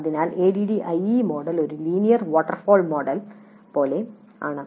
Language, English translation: Malayalam, So ADI model is not a linear waterfall like model